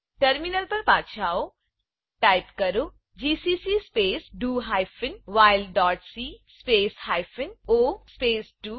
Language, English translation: Gujarati, Come back to our terminal Type g++ space do hyphen while dot cpp space hyphen o space do1